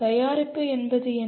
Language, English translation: Tamil, What is the product